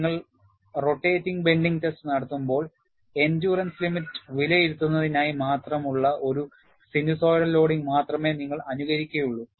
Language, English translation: Malayalam, When you do the rotating bending test, you will simulate only a sinusoidal loading, which is only for evaluating the endurance limit